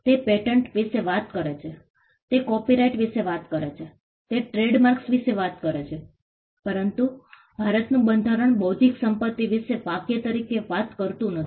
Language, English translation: Gujarati, It talks about patents; it talks about copyright; it talks about trademarks, but the Constitution of India does not talk about intellectual property as a phrase itself